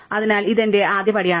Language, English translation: Malayalam, So, this is my first step